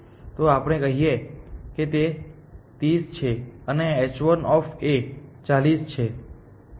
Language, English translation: Gujarati, So, let us say it is 30 and h 1 of A is actually 40